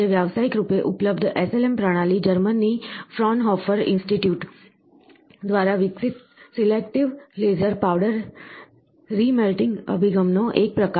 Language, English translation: Gujarati, Today commercially available SLM systems are variant of the selective laser powder remelting approach developed by Fraunhofer Institute of Germany